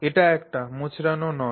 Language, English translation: Bengali, So, this is a twisted tube